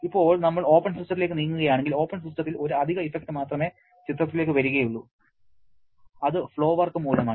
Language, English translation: Malayalam, And if we now move to the open system, in open system only one additional effect comes into picture that is because of the flow work